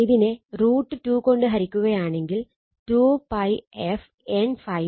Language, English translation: Malayalam, So, divide this 1 by root 2, this is 2 pi f N phi max, divided by root 2